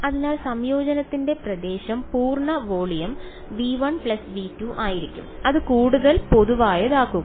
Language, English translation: Malayalam, So, the region the region of integration is going to be the full volume V 1 plus V 2 that makes it more general